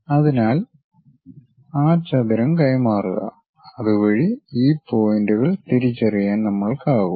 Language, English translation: Malayalam, So, transfer that rectangle so that we will be in a position to identify these points